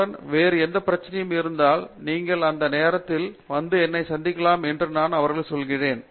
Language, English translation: Tamil, And, I tell them that if you have any other issues, you are free to come and meet me any time